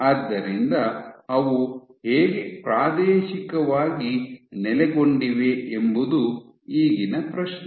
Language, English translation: Kannada, So, the question is how are they spatially located